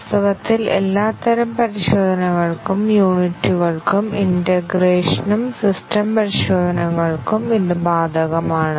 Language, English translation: Malayalam, Actually, it is applicable for all types of testing, unit, integration and system testing